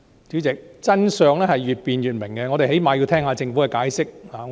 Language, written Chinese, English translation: Cantonese, 主席，真相越辯越明，我們最低限度要聆聽政府的解釋。, President the more truth is debated the clearer it gets . At least we should listen to the Governments explanation